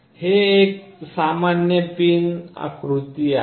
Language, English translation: Marathi, This is a typical pin diagram